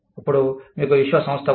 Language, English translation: Telugu, So, you have an organization